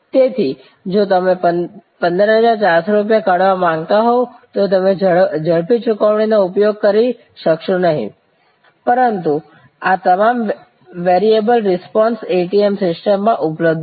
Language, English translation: Gujarati, So, if you want to draw 15,400 rupees you will not be able to use the quick payment, but all these variable responses are available from the ATM system